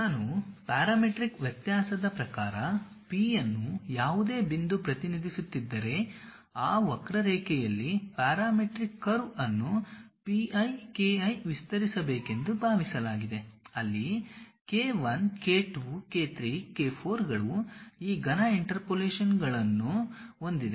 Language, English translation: Kannada, If I am representing it in terms of parametric variation the P any point P, on that curve the parametric curve supposed to be expanded in terms of P i k i where k 1 k 2 k 3 k 4s have this cubic interpolations